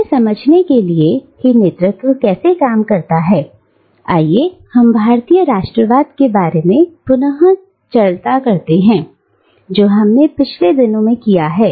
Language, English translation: Hindi, Now, to understand, how hegemony works, let us go back to the discussion about Indian nationalism that we have had in our previous lectures